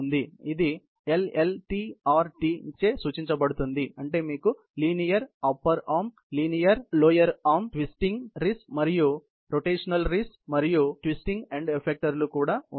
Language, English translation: Telugu, So, this can be a represented therefore, by LLTRT, which means that you have a linear lower arm, a linear upper arm, a twisting wrist and then, also a rotational wrist and a twisting end effector ok